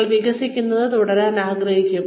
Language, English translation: Malayalam, You will want to keep developing